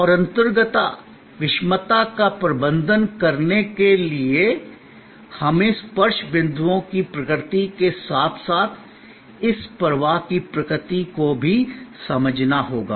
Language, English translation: Hindi, And to manage the intangibility, the heterogeneity, we have to understand the nature of the touch points as well as the nature of this flow